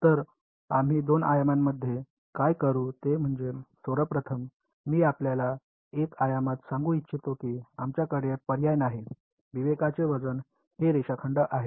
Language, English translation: Marathi, So, what we will do is, in two dimensions, first of all I want to tell you in one dimension we had no choice the weight of discretize is line segments